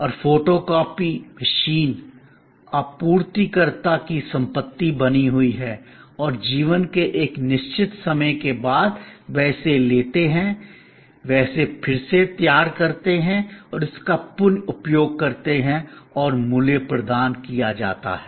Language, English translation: Hindi, And the photocopy machine remains the property of the supplier and after a certain time of life, they take it, they remanufacture it, and reuse it and the value is provided